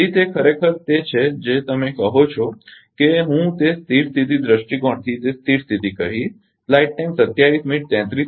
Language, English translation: Gujarati, So, that is actually your what you call ah that ah what I will say that steady state from the steady state point of view